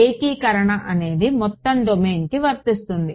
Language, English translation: Telugu, The integration is the whole domain